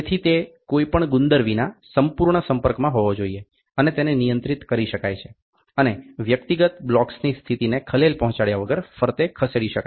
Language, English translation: Gujarati, So, it has to be a perfect contact without any glue and can be handled and move around without disturbing the position of the individual blocks